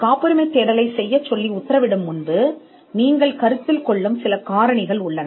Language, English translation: Tamil, There are certain factors you will consider before ordering a patentability search